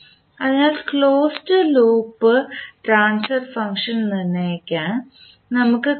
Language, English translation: Malayalam, So we can say, we can determined the closed loop transfer function